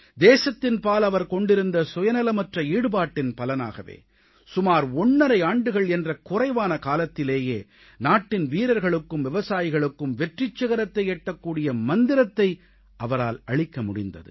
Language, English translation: Tamil, It was the result of his selfless service to the nation that in a brief tenure of about one and a half years he gave to our jawans and farmers the mantra to reach the pinnacle of success